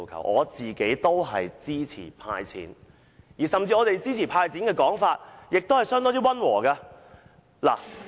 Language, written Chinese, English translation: Cantonese, 我也支持"派錢"，而我們提出支持"派錢"時，說話也相當溫和。, For example Mr CHAN Chi - chuen proposed to hand out cash I also support handing out cash and we put forward this idea quite mildly